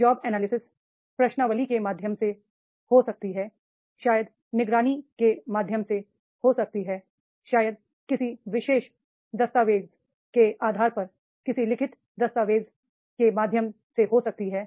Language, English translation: Hindi, Job analysis that requires that is maybe through the questionnaire, maybe through the observations, maybe through the any written document on the basis of any particular document is there, so that the job will be analyzed